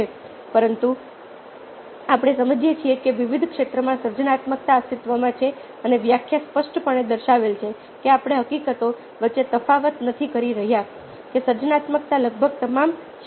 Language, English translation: Gujarati, but today we realise that ah in different fields, creativity ah exists and, as the definition clearly indicated, we are not differentiating between the fact that is, creativity can exist in almost all disciplines